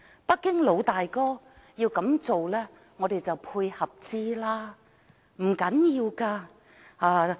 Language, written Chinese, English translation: Cantonese, 北京"老大哥"要這樣做，我們便予以配合，不要緊的。, Since the Big Brother in Beijing is determined to act in this way we can only make complementary efforts . It does not matter